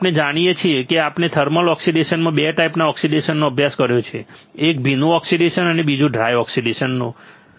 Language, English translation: Gujarati, Now we know we have studied 2 types of oxidation in thermal oxidation, one is wet oxidation and another one is dry oxidation